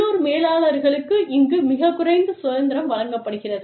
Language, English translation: Tamil, Here, very limited freedom is given, to the local managers